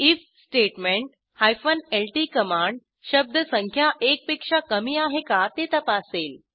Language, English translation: Marathi, In the if statement, lt command checks whether word count is less than one